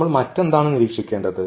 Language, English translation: Malayalam, What else we have to observe